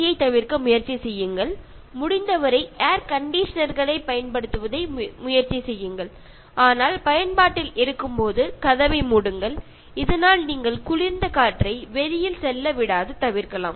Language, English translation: Tamil, And generally, try to avoid AC and as much as possible try to avoid using air conditioners, but when in use close the door, so that you will not let the cool air escape